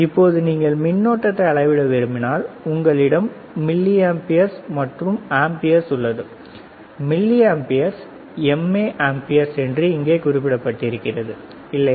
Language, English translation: Tamil, Now, if you want to measure current, right this voltage, and resistance, if you want to measure the current, then we have this milliamperes and amperes you can see milliamperes mA amperes a capital A here, right